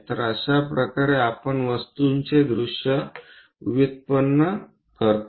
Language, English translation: Marathi, So, this is the way we generate the views of the object